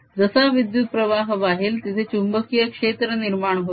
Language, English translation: Marathi, as soon as the current flows, there is a magnetic field established